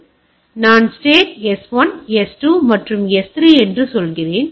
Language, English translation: Tamil, So, I say state S1 S2 and S3